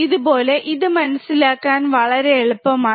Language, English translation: Malayalam, So, this way this very easy to understand